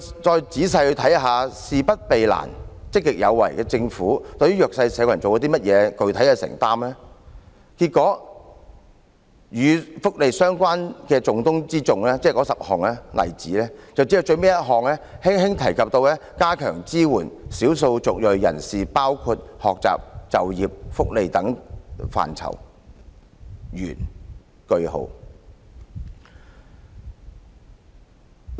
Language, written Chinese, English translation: Cantonese, 再仔細看看"事不避難、積極有為"的政府對弱勢社群有甚麼具體的承擔，結果與福利相關的重中之重政策，即該10項例子中，只有最後一項輕輕提及會加強支援少數族裔人士，包括在學習、就業、福利等範疇，完，句號。, Lets take a closer look at the specific commitments of this government which claims to avoid no difficulty with proactive governance for the disadvantaged . The results of such policies of top priority are closely related to welfare issues . Among the 10 examples only the last one mentions casually that the support for ethnic minorities in terms of their studies employment and welfare would be stepped up